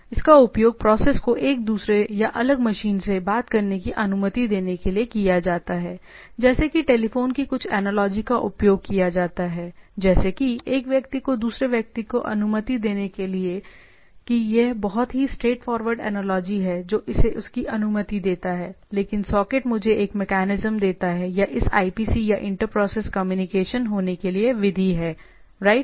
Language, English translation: Hindi, So, it is used to allow the process to speak to one another same or different machine some analogy like telephone is used to allow one person to another in that that is a very straightforward analogy that it allows to this, but socket gives me a mechanism or method to have this IPC or inter process communication to happen, right